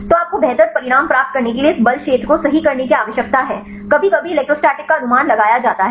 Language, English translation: Hindi, So, you need to refine this force field right to get the better results sometimes the electrostatic is over estimated